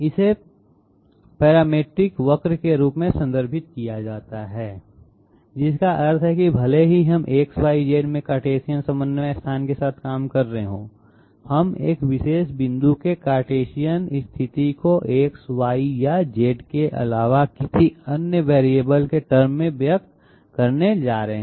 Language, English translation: Hindi, It is referred to as a parametric curve which means that even if we are dealing with the Cartesian coordinate space in X, Y, Z, we are going to express the Cartesian position of a particular point in terms of a variable other than X, Y or Z